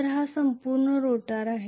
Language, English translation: Marathi, So this is the entire rotor